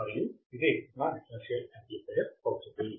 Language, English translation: Telugu, And this will be my differential amplifier